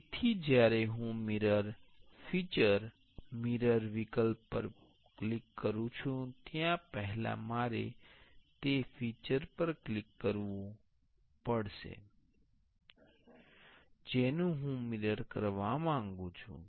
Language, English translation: Gujarati, So, when I click the mirror feature, the mirror option first I have to click the feature I want to mirror